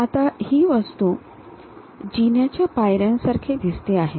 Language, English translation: Marathi, So, the object looks like a staircase steps